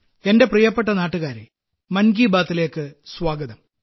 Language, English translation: Malayalam, My dear countrymen, Namaskar, Welcome to Mann Ki Baat